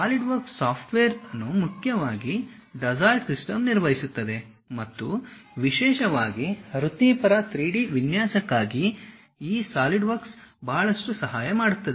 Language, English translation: Kannada, The Solidworks software mainly handled by Dassault Systemes and especially for professional 3D designing this Solidworks helps a lot